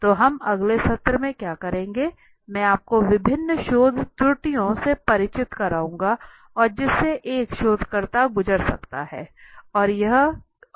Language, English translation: Hindi, So what we will do in the next session I will introduce you to the different research errors that is possible, and that a researcher might go through